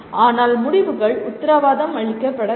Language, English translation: Tamil, But results are not guaranteed